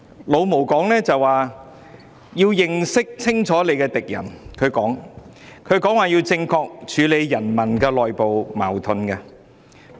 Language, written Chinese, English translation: Cantonese, "老毛"說要認清敵人，正確處理人民內部矛盾。, MAO said it was important to recognize the enemy and handle contradictions among the people correctly